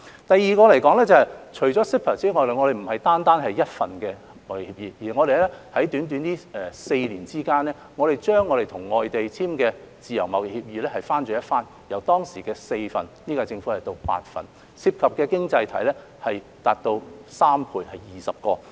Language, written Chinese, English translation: Cantonese, 第二方面，除了 CEPA 之外，我們不單簽訂了一份貿易協議，在短短的4年間，我們把與外地簽訂的自由貿易協議翻了一番，由當時的4份到現屆政府的8份，涉及的經濟體達到3倍，共有20個。, Secondly CEPA is not the only trade agreement that we have signed . The number of free trade agreements FTAs entered into between Hong Kong and overseas places has doubled in a span of four short years from four in the past to eight for the current - term Government and the number of signing economies involved has increased by three times to a total of 20